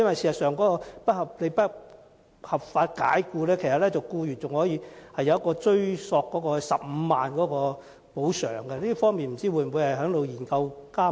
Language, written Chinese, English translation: Cantonese, 事實上，如遭不合法解僱，僱員有權追索15萬元補償，這項安排會否納入研究範圍內？, In fact in cases of unlawful dismissal an employee is entitled to a compensation of 150,000 . Will this arrangement be included into the scope of the study?